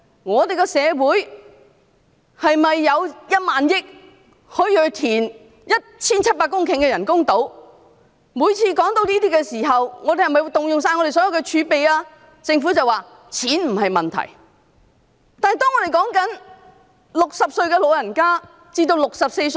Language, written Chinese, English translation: Cantonese, 我們的社會可以有1萬億元用來填海造 1,700 公頃的人工島，而每次談到這些項目時，我們便問政府是否將動用香港所有的儲備？, Our society can spend 1,000 billion on reclamation for the construction of artificial islands measuring 1 700 hectares and whenever these projects were brought up we would ask the Government if it would be spending all the reserve of Hong Kong